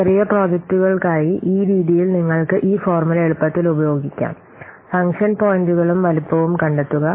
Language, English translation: Malayalam, So in this way for small projects you can easily use this formula, find out the function points and size